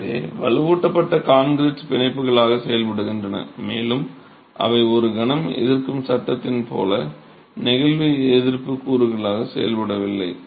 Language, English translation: Tamil, So, the reinforced concrete elements are acting as ties and they are not acting as flexure resisting elements as in a moment resisting frame